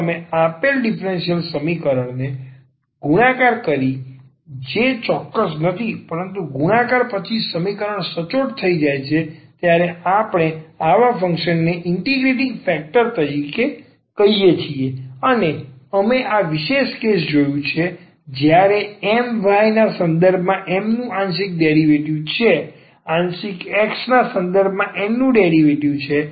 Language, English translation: Gujarati, If you multiply to the given differential equation which is not exact, but after multiplication the equation becomes exact we call such a function as the integrating factor and we have seen this special case when M y the partial derivative of M with respect to y, partial derivative of N with respect to x